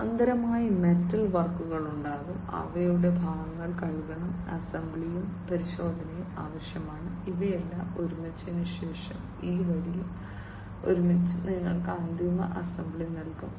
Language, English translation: Malayalam, In parallel, there would be metal works, their needs to be parts washing, there needs to be assembly and test, and after all of these things together, so this row, as well as this row together, finally will give you the final assembly final assembly